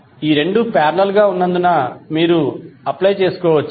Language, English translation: Telugu, So since these two are in parallel, what you can apply